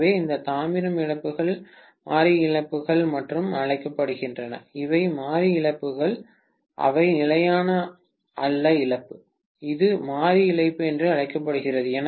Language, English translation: Tamil, So, these copper losses are also known as the variable losses, these are variable losses, they are not constant loss, this is known as variable loss, right